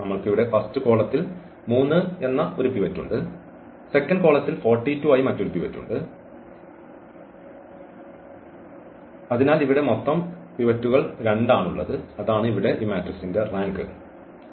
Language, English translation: Malayalam, So, we have one pivot here, we have another pivot as 42, so, the total pivots here we have 2 and that is what the rank here is of this matrix is 2